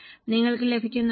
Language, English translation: Malayalam, Are you getting